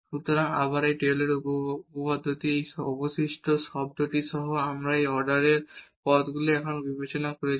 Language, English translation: Bengali, So, again this is the Taylor’s theorem including this remainder term and we have considered these third order terms here